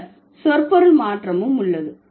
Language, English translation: Tamil, Then there is also a semantic change